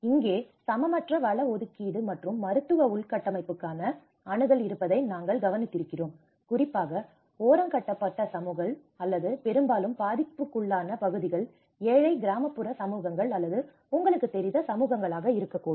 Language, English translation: Tamil, Even here, we notice that there is an unequal resource allocation and access to medical infrastructure, especially the marginalized communities or mostly prone areas are the poor rural communities or the poverty you know communities